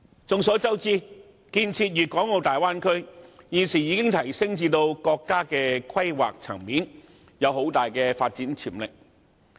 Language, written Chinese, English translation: Cantonese, 眾所周知，建設粵港澳大灣區現已提升至國家規劃層面，具很大發展潛力。, As we all know the development of the Guangdong - Hong Kong - Macao Bay Area which has now been elevated to the national planning level is full of development potentials